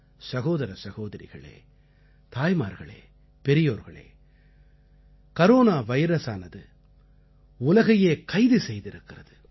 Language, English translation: Tamil, Brothers, Sisters, Mothers and the elderly, Corona virus has incarcerated the world